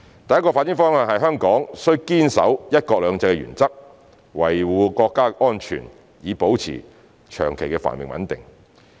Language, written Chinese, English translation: Cantonese, 第一個發展方向是香港須堅守"一國兩制"原則，維護國家安全，以保持長期繁榮穩定。, The first direction of development is that Hong Kong should uphold the one country two systems principle and safeguard national security in order to maintain the long - term prosperity and stability